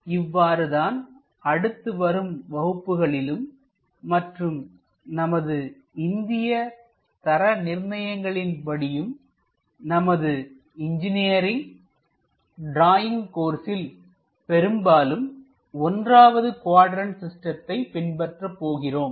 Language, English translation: Tamil, This is the way we go ahead and most of the cases, at least for Indian standards and alsofor our engineering drawing course, we extensively follow this 1st quadrant system